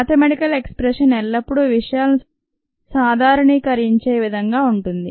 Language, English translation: Telugu, mathematical expression always generalizes things